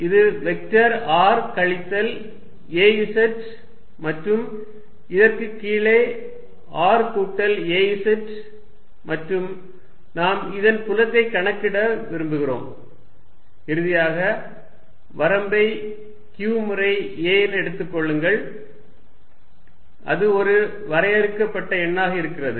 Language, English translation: Tamil, To make it more explicit, let me draw this point r, this is vector r minus ‘az’ and the one from the bottom here is r plus ‘az’ and we want to calculate this field and finally, take the limit q times a going to a finite number